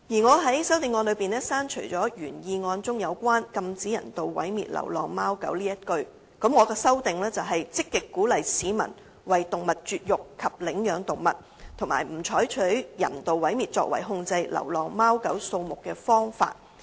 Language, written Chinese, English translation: Cantonese, 我在修正案中建議刪除原議案中"禁止人道毀滅流浪貓狗"的字眼，並以"積極鼓勵市民為動物絕育及領養動物，不採用人道毀滅作為控制流浪貓狗數目的方法"取代。, In my amendment I propose to delete the phrase prohibit the euthanization of stray cats and dogs and substitute with actively encourage the public to neuter animals and adopt animals refrain from using euthanization as a means to control the number of stray cats and dogs